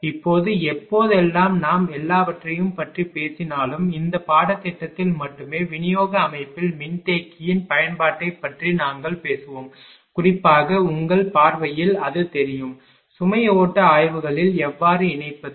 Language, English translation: Tamil, Now, whenever ah whenever we talk about ah all the; this course only we will talk about the application of capacitor in distribution system only that particularly from the ah point of view of ah you know that; how to incorporate in load flow studies